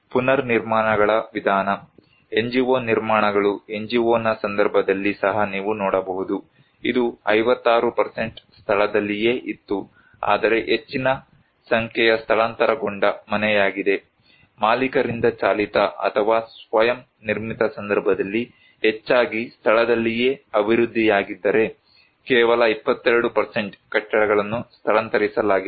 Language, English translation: Kannada, The mode of reconstructions; NGO constructions you can see that even in case of NGO mostly, it was 56% was in situ but is a great number of also relocated house, in case of owner driven or self constructed majority are in situ development, only 22% is relocated buildings